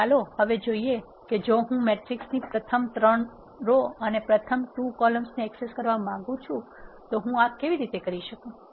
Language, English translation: Gujarati, So, let us now see if I want to access the first 3 rows and the first 2 columns of this matrix, how do I do this